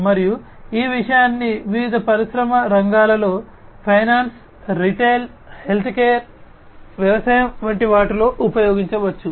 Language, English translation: Telugu, And, this thing can be used in different industry sectors, finance, retail, healthcare, agriculture